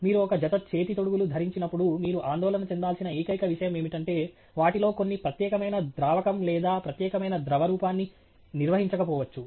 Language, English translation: Telugu, May be the only thing you have to be concerned about when you wear a pair of gloves is that some of them may or may not handle a particular solvent or particular form of liquid